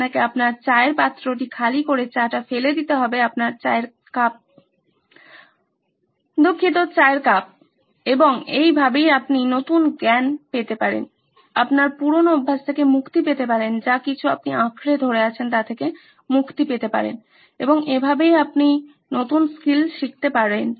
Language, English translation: Bengali, You have to throw away empty your tea pot your tea cup sorry tea cup and that is the way you can get new knowledge, get rid of your old habits, get rid of your whatever you are clinging onto and that is how you learn new skills